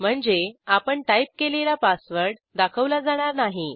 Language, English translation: Marathi, Which means the entered password will not be displayed as we type